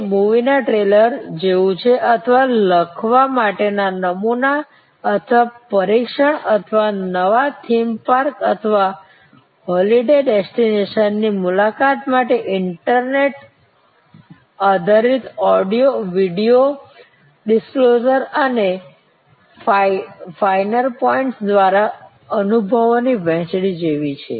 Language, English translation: Gujarati, So, it is like a trailer of a movie or a sample or test to write or a visit to a new theme park or holiday destination through internet based sharing of experiences through audio, video discloser of finer points and so on